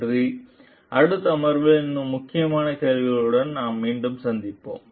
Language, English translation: Tamil, Thank you we will come back with more critical questions in the next session